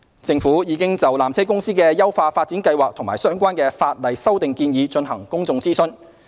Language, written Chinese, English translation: Cantonese, 政府已就纜車公司的優化發展計劃及相關法例修訂建議進行公眾諮詢。, The Government has already conducted public consultation on PTCs upgrading plan and the relevant proposed legislative amendments